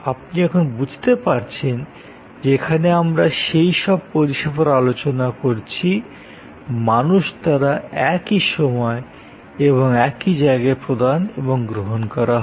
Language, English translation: Bengali, Now, you can understand that here we are discussing more and more about services, which are delivered and consumed by human beings within the same time and space frame work